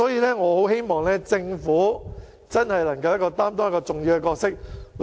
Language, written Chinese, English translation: Cantonese, 因此，我希望政府擔當更重要的角色。, So I hope the Government can assume a more significant role